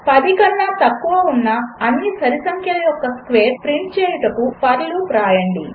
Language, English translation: Telugu, Write a for loop to print the squares of all the even numbers below 10